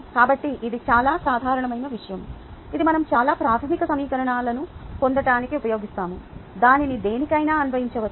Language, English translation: Telugu, so this is a very general kind of a thing which we use to derive some very fundamental equations which can be applied to anything